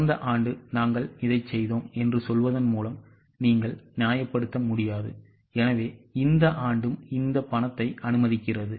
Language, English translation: Tamil, You cannot justify it by saying that last year we have done this, so this year also sanctioned this money